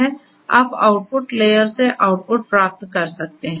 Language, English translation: Hindi, You can get the output from the output layer